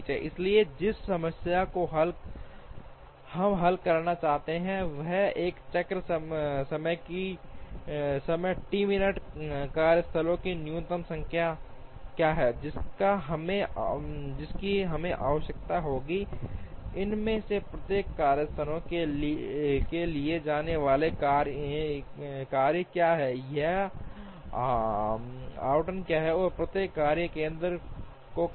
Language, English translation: Hindi, So, the problem that we wish to solve is: given a cycle time T minutes, what is the minimum number of workstations that we require, what are the tasks that have to be carried out in each of these workstations or what is the allocation of the task to each workstation